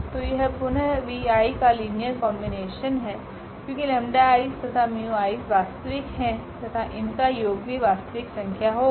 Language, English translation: Hindi, So, again this is a linear combination of the v i is because when lambda i’s and mu i’s are real their sum is also real number